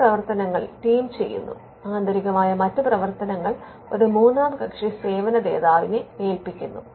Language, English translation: Malayalam, Some functions are done by the team, there internally other functions are delegated to a third party service provider